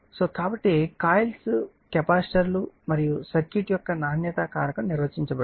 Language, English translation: Telugu, So, the quality factor of coils capacitors and circuit is defined by